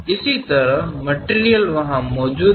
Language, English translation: Hindi, Similarly, material is present there